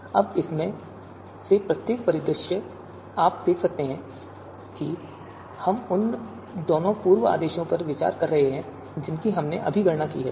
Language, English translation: Hindi, So now each of these scenario you can see that we are considering both the pre orders that we have you know just computed